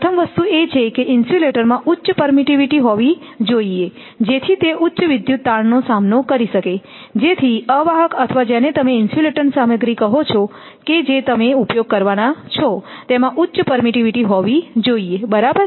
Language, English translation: Gujarati, First thing is insulator should have a high permittivity, so that it can withstand high electrical stresses, so insulated way or what you call insulator material whatever it will be used it must have a very high your permittivity, right